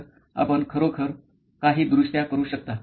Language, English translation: Marathi, So, you can actually make some corrections